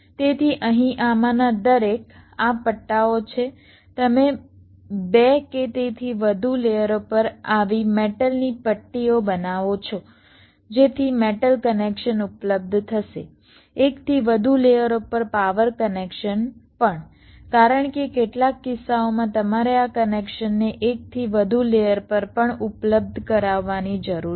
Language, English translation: Gujarati, you create such metal stripes on more than two or more layers so that metal connections will be available, power connections on more than one layers also, because in some cases you need this connections to be made available on more than one layer as well